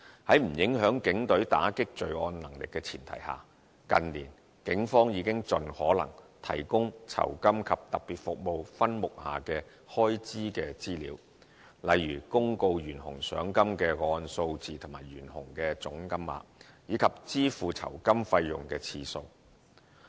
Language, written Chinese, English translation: Cantonese, 在不影響警隊打擊罪案能力的前提下，近年警方已經盡可能提供酬金及特別服務分目下的開支資料，例如公告懸紅賞金的個案數字和懸紅的總金額，以及支付酬金費用的次數。, In recent years the authorities have on the premise of not affecting the crime - combating capabilities of the Police disclosed as far as possible relevant expenditure information under this RSS subhead such as the number of cases offering wanted persons rewards the total amount of rewards offered and the total number of reward payments made